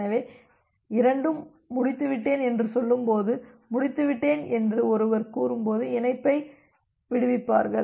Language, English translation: Tamil, So, when both are saying that I am done and this one is saying I am done too they will release the connection